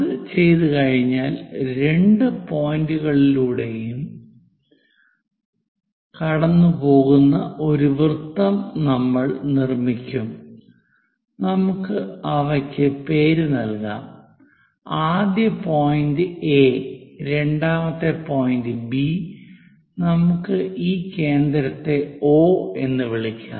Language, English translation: Malayalam, Once it is done, we will construct a circle which pass through both the points, let us name them first point is A, second point is B, let us call this center as O